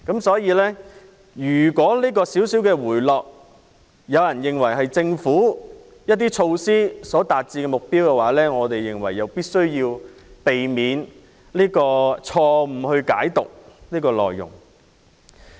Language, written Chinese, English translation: Cantonese, 所以，如果有人認為樓價輕微回落，是政府一些措施所達致的目標，我們認為必須避免這種錯誤解讀。, By the same token if some people think that the slight drop in property prices means that some government measures have attained their goals we urge them not to make such wrong interpretations